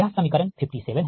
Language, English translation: Hindi, this is equation fifty seven